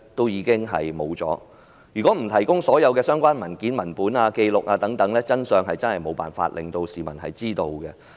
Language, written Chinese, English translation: Cantonese, 如果不提供所有相關文件、文本、紀錄等，實在無法令市民知道真相。, If no relevant documents papers and records are produced as evidence the public will never know the truth